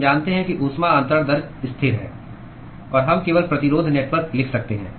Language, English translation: Hindi, We know that the heat transfer rate is constant, and we can simply write resistance network